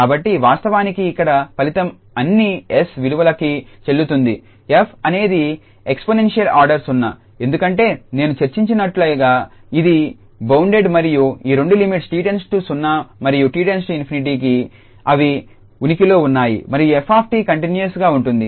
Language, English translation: Telugu, So, actually the result here is valid for all s, the f is exponential order 0, since it is bounded as I discussed that this limit and this two limits say as t approaches to 0 and t approaches to infinity they exists, and f t is continuous